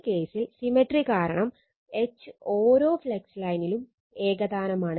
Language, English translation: Malayalam, Now, in this case because of symmetry H is uniform along each flux line